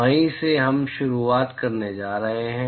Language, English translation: Hindi, So, that is where we are going to start